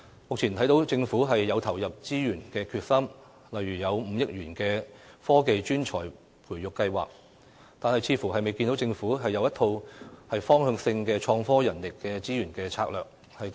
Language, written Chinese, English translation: Cantonese, 目前，我看到政府有投入資源的決心，例如提出5億元的"科技專才培育計劃"，但似乎未見政府制訂一套方向性的創科人力資源策略。, At present I can see that the Government is determined to devote resources to achieve the vision such as through the proposed 500 million Technology Talent Scheme but it seems that the Government has yet to formulate a directional strategy for innovation and technology human resources